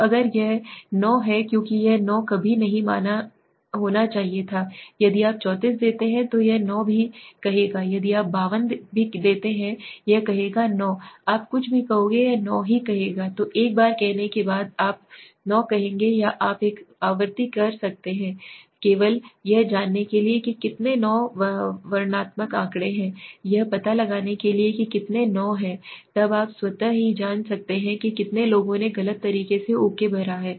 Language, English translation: Hindi, So if it is 9 because it should never be 9 so if you give 34 also it will say 9 if you give 52 also it will say 9 you do anything it will say 9 so once you say see 9 or you can do a frequency you know just to find out how many 9 s were descriptive statistics find out how many 9 are there then you can automatically you know okay how many people have wrongly filled up okay